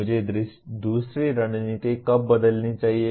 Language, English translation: Hindi, When should I switch to another strategy